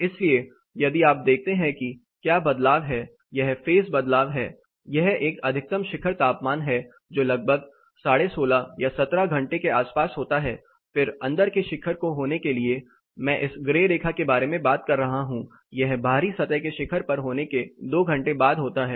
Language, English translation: Hindi, So, if you look at what is the shift; that is a phase shift, this is a maximum peak temperature occurring at somewhere around 16 30 or 17, then for the inside peak to happen I am talking about this grey line here it happens 2 hours after the outside surface peak has occurred